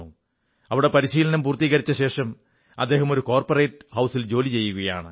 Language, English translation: Malayalam, After completing his training today he is working in a corporate house